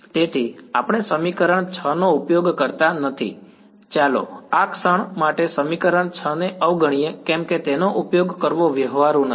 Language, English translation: Gujarati, So, we do not use equation 6 let us for the moment ignore equation 6 why because it is not practical to use it